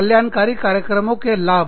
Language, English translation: Hindi, Benefits of wellness programs